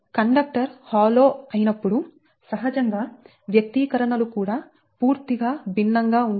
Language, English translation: Telugu, so when conductor is hollow, so naturally the expressions also totally different right